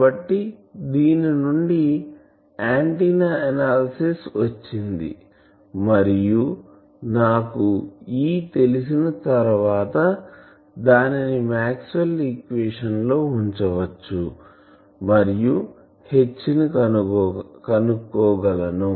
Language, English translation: Telugu, So antenna analysis is from this and once I know E, I can put that into Maxwell’s equation and find H